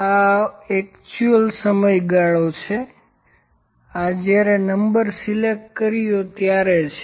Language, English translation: Gujarati, This is actual period, this is the when is number selected